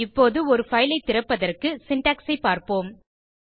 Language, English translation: Tamil, Now we will see the syntax to open a file